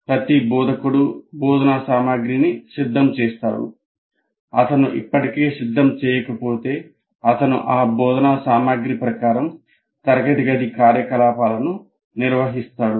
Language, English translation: Telugu, Now, every instructor prepares instruction material if he is already prepared, he will be conducting the classroom activities according to that instruction material